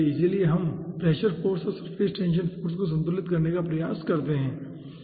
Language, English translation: Hindi, so we will be trying to balance the pressure force and the surface tension force